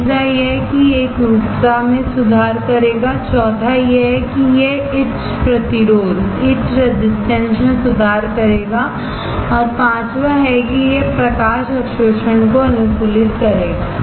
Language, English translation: Hindi, Third is that it will improve the uniformity, fourth is that it will improve the etch resistance and fifth is it will optimize the light absorbance